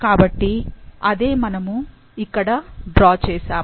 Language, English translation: Telugu, So, that's what we draw here